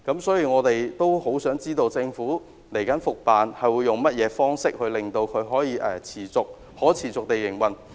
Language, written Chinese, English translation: Cantonese, 所以，我們很想知道政府接下來會用甚麼方式令渡輪可持續營運。, Hence I really want to know how the Government will make the operation of ferry service sustainable